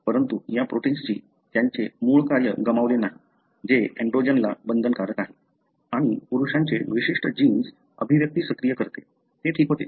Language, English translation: Marathi, But, these proteins did not lose its original function that is binding to androgen and activating a male specific gene expression